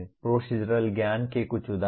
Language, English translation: Hindi, Some examples of Procedural Knowledge